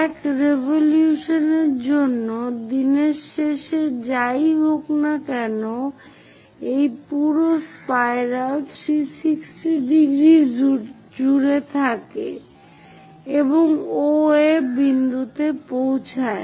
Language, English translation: Bengali, Whatever might be end of the day for one revolution this entire spiral covers 360 degrees and reaches the point OA